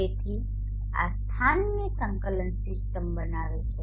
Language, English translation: Gujarati, So this forms the coordinate system of the locality